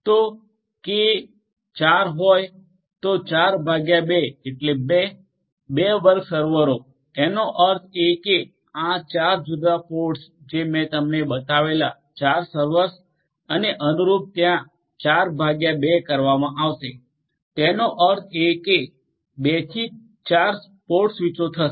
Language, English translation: Gujarati, So, k equal to 4 so, 4 by 2 is 2, 2 square servers; that means, the 4 servers that I had shown you at each of these different pods and correspondingly there are going to be 4 divided by 2; that means, 2 to 4 port switches are going to be there